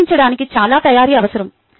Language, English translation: Telugu, lot of preparation needed for updating